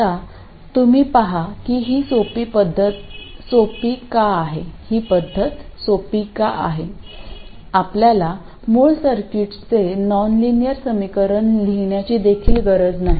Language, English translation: Marathi, Now you see why this method is easier, we don't even need to write the nonlinear equations of the original circuit